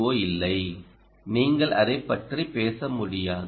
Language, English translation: Tamil, you can't, you can't be talking about that right